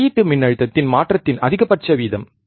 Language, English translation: Tamil, Maximum rate of change of output voltage